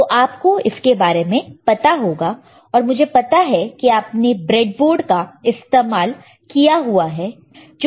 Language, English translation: Hindi, So, anyway you will know and I am sure that you have used this breadboard